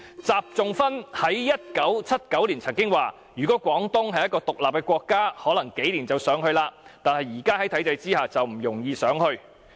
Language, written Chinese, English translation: Cantonese, 習仲勳在1979年曾經表示："如果廣東是一個'獨立的國家'，可能幾年就搞上去了，但是在現在的體制下，就不容易上去。, XI Zhongxun said in 1979 If Guangdong were an independent state it might thrive in just a few years . But under the present system it may not be easy to thrive